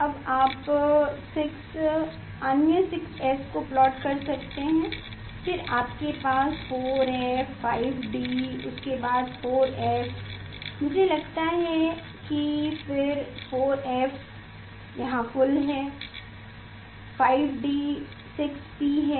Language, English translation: Hindi, Now, you can plot 6 other 6s then you have 4 f, 5 d, after that 4 f, I think then 4 f is full, 5 d is full 6 p